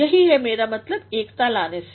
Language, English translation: Hindi, That is what I mean by bringing unity